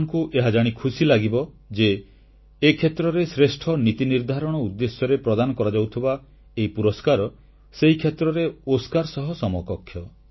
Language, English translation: Odia, You will be delighted to know that this best policy making award is equivalent to an Oscar in the sector